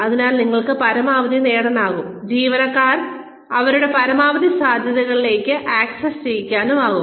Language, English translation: Malayalam, So, that you can get the maximum, get the employees to access to work to their maximum potential